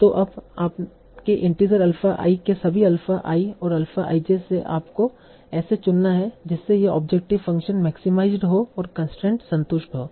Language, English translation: Hindi, So now your integers, alpha, or all the alpha is and alpha you have to choose such that these object function is maximized and the constraints are satisfied